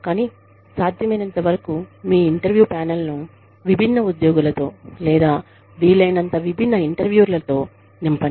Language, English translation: Telugu, But, as far as possible, have your interview panel, you know, populate your interview panel, with as diverse employees, or as diverse interviewers, as possible